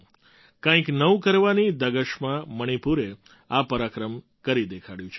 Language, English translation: Gujarati, Youths filled with passion to do something new have demonstrated this feat in Manipur